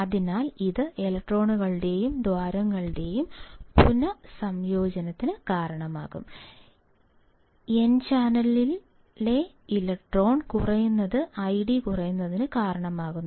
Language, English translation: Malayalam, So, this will result in recombination of electrons and holes that is electron in n channel decreases causes I D to decrease